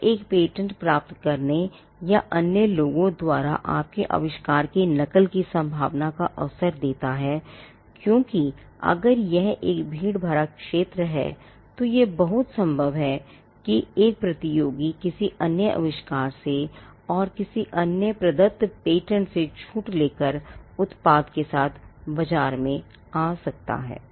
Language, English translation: Hindi, Now this will give a fair chance of getting a patent or what are the chances of others imitating your invention, because if it is a crowded field then it is quite possible that a competitor could license another invention from and from another granted patent, and still be in the market with the product